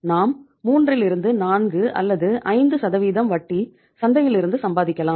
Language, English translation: Tamil, We can earn some 3 to 4, 5 percent of the interest from the market